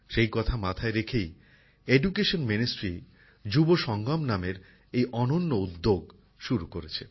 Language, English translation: Bengali, Keeping this in view, the Ministry of Education has taken an excellent initiative named 'Yuvasangam'